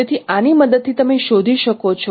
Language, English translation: Gujarati, So with this now you can find out